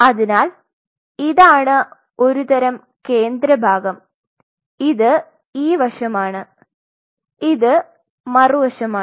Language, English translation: Malayalam, So, this is a kind of a central part this is the side and this is the other side